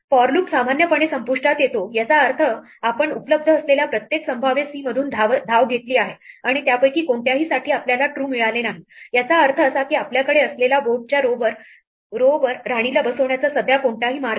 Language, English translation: Marathi, The for loop terminates normally it means we have run through every possible c that was available and for none of them did we return true; that means, that there is no way to currently put a queen on row i given the board that we have